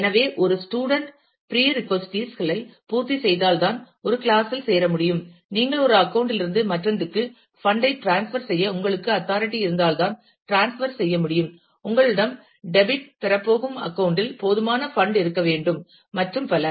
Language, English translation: Tamil, So, a student can enroll in a class only if she has completed prerequisites, you can transfer funds from one account to the other, provided, you have the authority to transfer, provided you have enough funds in the account that is going to get debited and so on